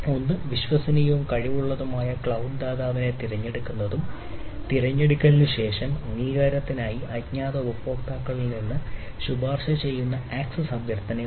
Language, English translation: Malayalam, so one is that selection of the trustworthy and competent cloud provider and after the selection, we have the recommending access request from the anonymous users for authorization